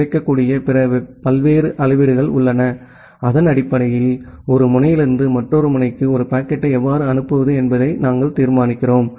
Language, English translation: Tamil, There are other various metrics which are available, based on which we decide that how to forward a packet from one node to another node